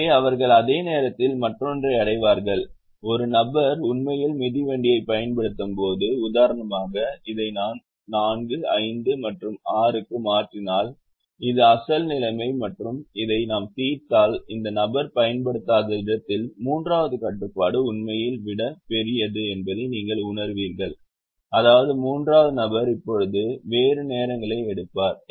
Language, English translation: Tamil, in the other one, when some one person was actually not using the bicycle, we realise that, for example, if i change this batch to four, five and six, which was the original situation and if we solve the where is person does not use, you would realise that the third constraint is actually a greater than becomes